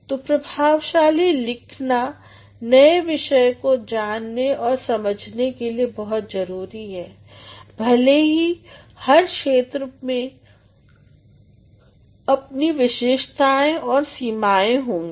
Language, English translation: Hindi, So, effective writing is integral to learning and understanding of new subject matter, though every discipline will have its own specification and limitations